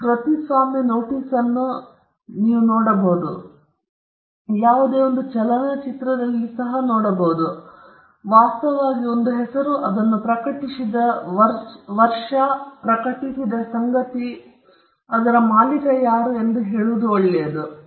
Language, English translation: Kannada, The fact that you have put a copyright notice, and most likely with an entity’s name and the year in which it was published, and the fact that you have published it, is good enough for you to say that you are the owner of the right